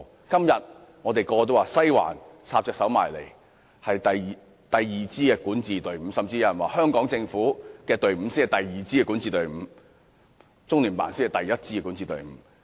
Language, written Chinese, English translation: Cantonese, 今天，我們所有人都說"西環"插手香港事務，是香港第二支管治隊伍，甚至有人說香港政府才是第二支管治隊伍，中聯辦是第一支管治隊伍。, Today we all say that the Western District is meddling in Hong Kong affairs and is the second governing team in Hong Kong . Some even say that the Hong Kong Government is the second governing team while LOCPG is the first governing team